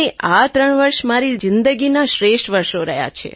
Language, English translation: Gujarati, three years have been the best years of my life